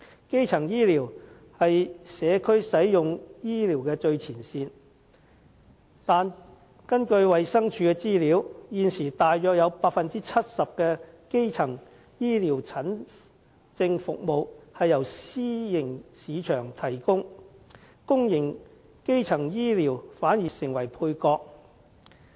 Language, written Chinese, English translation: Cantonese, 基層醫療是社區使用醫療的最前線，但根據衞生署的資料，現時約有 70% 的基層醫療診症服務由私營市場提供，公營基層醫療反而成為配角。, Primary health care is the frontline medical service available in the community . But according to the information supplied by the Department of Health about 70 % of primary health care consultation service is now provided by the private market while public primary health care is sidelined instead